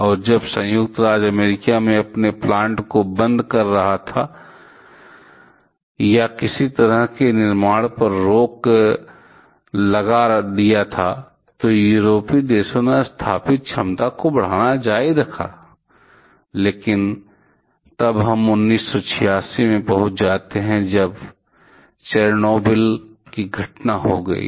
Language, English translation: Hindi, And while United States were started to shut down their plants or stop any kind of new constructions Euro continued to European countries continue to increase the installed capacity but then we reach 1986 when we had Chernobyl incident